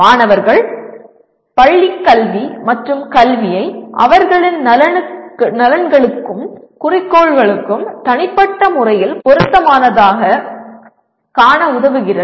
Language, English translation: Tamil, Helping students see schooling and education as personally relevant to their interests and goals